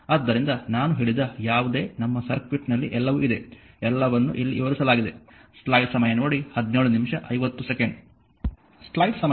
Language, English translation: Kannada, So, whatever I said that is your in the our this circuit everything, everything is explained here, everything is explained here